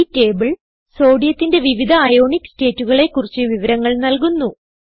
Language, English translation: Malayalam, This table gives information about * different Ionic states Sodium exists in